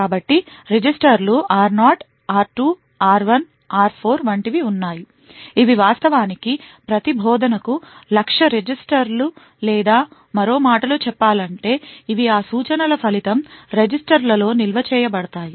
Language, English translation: Telugu, So there are like the registers r0, r2, r1 and r4 which are actually the target registers for each instruction or in other words these are the registers where the result of that instruction is stored